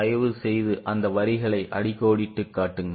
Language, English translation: Tamil, Please underline those lines